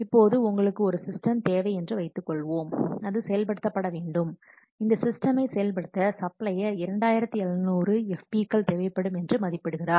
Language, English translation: Tamil, Now suppose you have to do, you require a system and that has to be implemented and the supplier for implementing this system it estimates that there will be 2,700